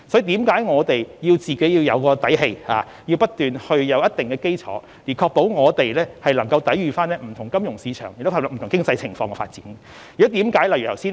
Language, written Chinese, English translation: Cantonese, 故此，我們要有底氣和建立一定基礎，才能確保香港有力抵禦不同的金融市場挑戰，以及作不同程度的經濟發展。, We must therefore develop our own strengths and establish a solid foundation so as to ensure Hong Kongs capability in withstanding different kinds of challenges in the financial market as well as striving for different degrees of economic development